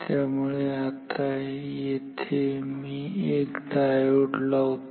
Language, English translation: Marathi, So, now, so, here let me put a diode